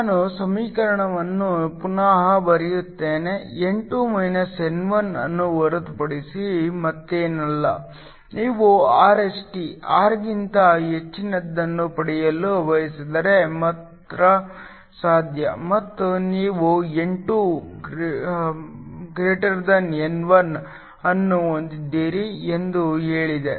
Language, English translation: Kannada, Let me just rewrite that equation, is nothing but N2 N1 we said that if you want Rst to be greater than R absorbed is possible only and you have N2 > N1 1